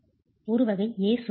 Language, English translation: Tamil, That's your type A wall